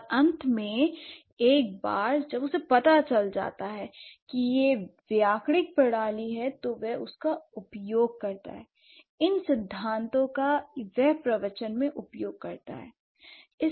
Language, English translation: Hindi, And finally, once she gets to know that, okay, this is the grammatical system that they have, so then she uses it, these principles she uses this in the discourse